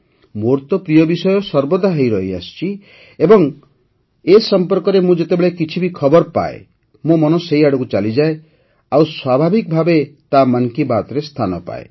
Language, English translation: Odia, It of course is my favorite topic as well and as soon as I receive any news related to it, my mind veers towards it… and it is naturalfor it to certainly find a mention in 'Mann Ki Baat'